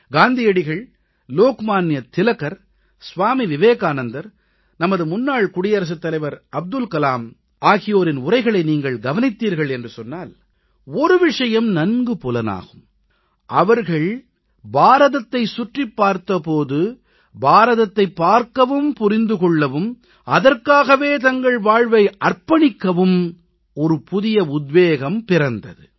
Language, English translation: Tamil, If you refer to Mahatma Gandhi, Lokmanya Tilak, Swami Vivekanand, our former President Abdul Kalamji then you will notice that when they toured around India, they got to see and understand India and they got inspired to do and die for the country